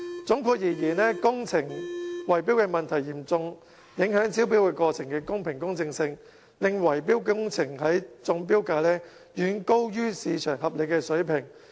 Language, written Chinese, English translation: Cantonese, 總括而言，工程圍標問題嚴重影響招標過程的公平公正，令維修工程的中標價遠高於市場合理水平。, In a nutshell the bid - rigging problem seriously jeopardizes the fairness and impartiality of tendering and as a result of this tender prices of successful bidders for repair works are far higher than reasonable market prices